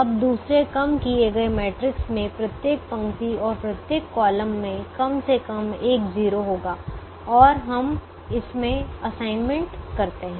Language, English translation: Hindi, now the second reduced matrix will have atleast one zero in every row and every column and we make assignments in it